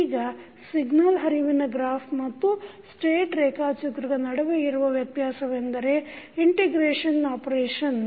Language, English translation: Kannada, Now, the difference between signal flow graph and state diagram is the integration operation